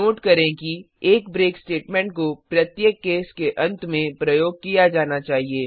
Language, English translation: Hindi, Note that a break statement must be used at the end of each case